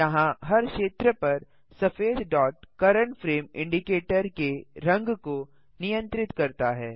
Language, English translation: Hindi, The white dot here over the green area controls the colour of the current frame indicator